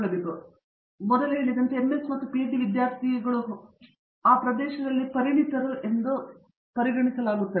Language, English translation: Kannada, Fine okay so, again as I mentioned earlier typically, students finishing MS and PhD are considered you know experts in that area